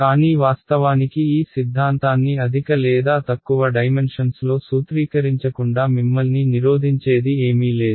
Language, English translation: Telugu, But actually there is nothing preventing you from formulating this theorem in higher or lower dimensions ok